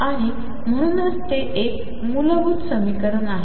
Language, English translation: Marathi, And therefore, it is a fundamental equation